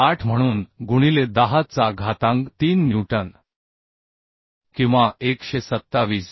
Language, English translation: Marathi, 08 into 10 to the power 3 newton or 127